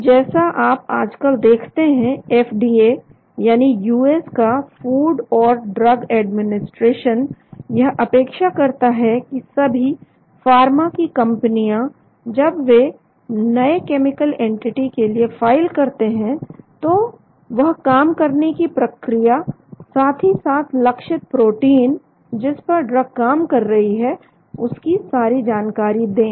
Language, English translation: Hindi, And as you see nowadays FDA that is the food and drug administration of US expects all the pharma companies when they file a new chemical entity to have the details about the mechanism of action as well as the target proteins on which the drug acts